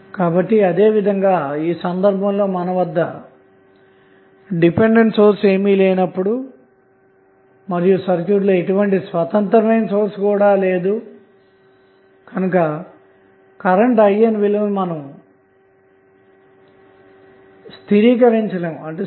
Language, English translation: Telugu, So, similarly in this case also if you do not have dependent source, you do not have any independent source in the circuit you cannot stabilized the value of current I N